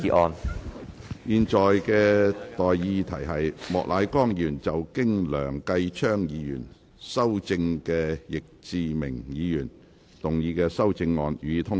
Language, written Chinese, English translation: Cantonese, 我現在向各位提出的待議議題是：莫乃光議員就經梁繼昌議員修正的易志明議員議案動議的修正案，予以通過。, I now propose the question to you and that is That Mr Charles Peter MOKs amendment to Mr Frankie YICKs motion as amended by Mr Kenneth LEUNG be passed